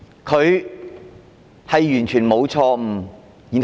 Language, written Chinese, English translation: Cantonese, 他們是否完全沒有錯誤？, Have they done no wrong at all?